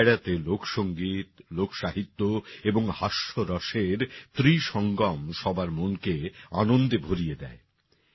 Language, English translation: Bengali, In this Dairo, the trinity of folk music, folk literature and humour fills everyone's mind with joy